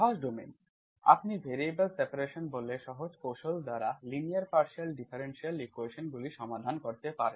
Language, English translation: Bengali, Simpler domains, you can solve linear partial differential equations by simpler techniques called separation of variables